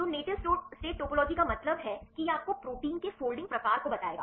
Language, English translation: Hindi, So, native state topology means this will tell you the folding type of a protein right